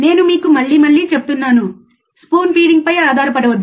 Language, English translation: Telugu, I tell you again and again, do not rely on spoon feeding, right